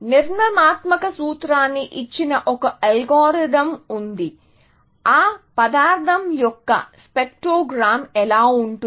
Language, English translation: Telugu, was an algorithm that given a structural formula, what will be the spectrogram of that material look like, essentially